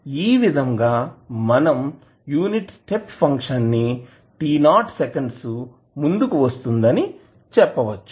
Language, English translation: Telugu, So, in this way you can say that the unit step function is advanced by t naught seconds